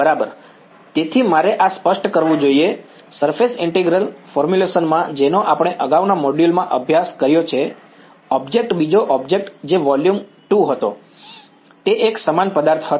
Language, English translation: Gujarati, Right so, I should clarify this, in the surface integral formulation which we have studied in the previous modules, the object the second object that was volume 2 was a homogeneous object ok